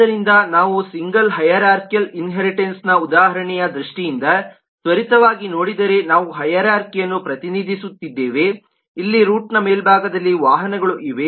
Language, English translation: Kannada, so if we quickly take a look in terms of the single hierarchical inheritance example, we have representing a hierarchy here were in the top